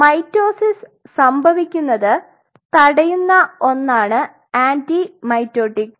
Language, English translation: Malayalam, Anti mitotic is something which prevents the mitosis to happen